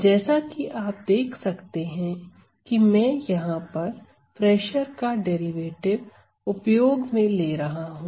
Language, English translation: Hindi, So, this is as you can see I am using a derivative of the pressure